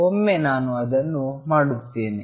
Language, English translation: Kannada, Once I do that